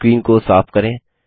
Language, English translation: Hindi, Let us clear the screen